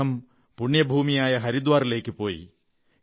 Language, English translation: Malayalam, He also travelled to the holy land of Haridwar